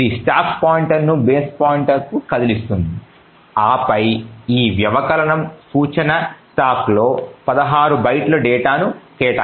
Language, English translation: Telugu, It moves the stack pointer to the base pointer and then this subtract instruction allocate 16 bytes of data in the stack